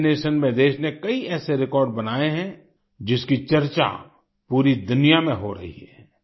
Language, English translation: Hindi, With regards to Vaccination, the country has made many such records which are being talked about the world over